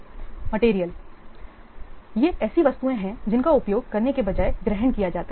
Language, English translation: Hindi, These are the items those are consumed rather than being used